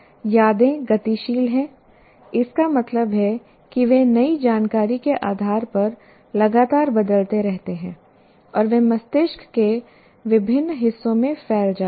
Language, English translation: Hindi, And as I said already, memories are dynamic, that means they constantly change depending on the new information and they are dispersed over the various parts of the brain